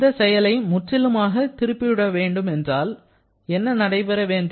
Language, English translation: Tamil, So, if I want to reverse this action completely, then what should happen